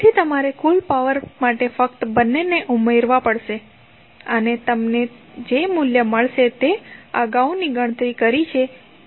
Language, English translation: Gujarati, So, therefore the total power you have to just add both of them and you will get the same value as we calculated previously